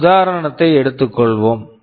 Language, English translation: Tamil, Let me take an example